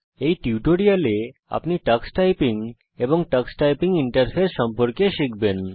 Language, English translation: Bengali, In this tutorial you will learn about Tux Typing and Tux typing interface